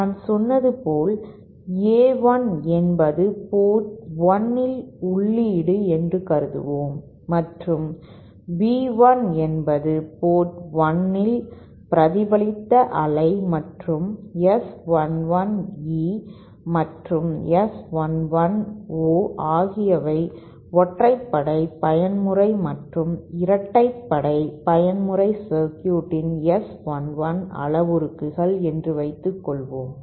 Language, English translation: Tamil, As I said, any, let us consider that A1 is the input at port 1 and B1 is the reflected wave at port 1 and suppose S 11 E and S11 O are the S11 parameters for the even mode circuit and the odd mode circuit